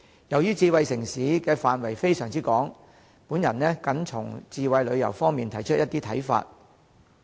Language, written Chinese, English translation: Cantonese, 由於智慧城市涉及的範疇非常廣泛，我僅從智慧旅遊方面提出一些看法。, As the concept of smart city covers very extensive areas I will present some views only on the aspect of smart travel